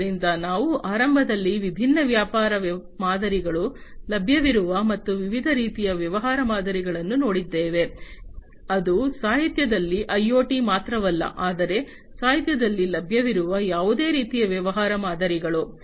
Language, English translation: Kannada, So, we have initially we have gone through the different business models, that are available and the different types of business model, that are available in the literature not just IoT, but any kind of business model the different types of it that are available in the literature